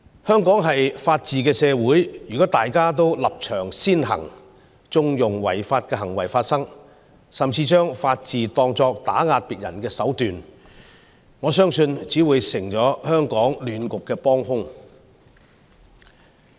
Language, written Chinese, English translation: Cantonese, 香港是法治社會，如果大家都立場先行，縱容違法行為發生，甚至將法治當作打壓別人的手段，我相信只會成為香港亂局的幫兇。, Hong Kong is a city of law and order . If we let our stance take the upper hand and allow unlawful behaviours to take place or even manipulate the rule of law to suppress another person I believe we will only become an accomplice to the creation of chaos in Hong Kong